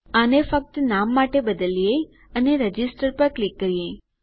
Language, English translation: Gujarati, Lets just change this for namesake and click register